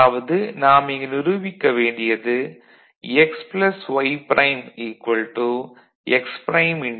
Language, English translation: Tamil, So, this is your x this is your y and this is your z